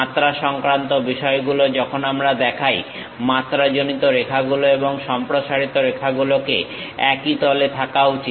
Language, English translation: Bengali, Regarding dimensions when we are showing, dimension lines and extension lines; these shall be on the same plane